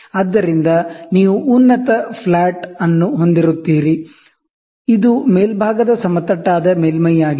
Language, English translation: Kannada, So, you will have a top flat, this is a top flat surface